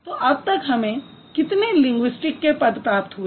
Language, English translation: Hindi, So, now we got how many different kinds of linguistic items